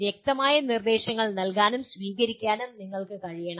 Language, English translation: Malayalam, And then further you should be able to give and receive clear instructions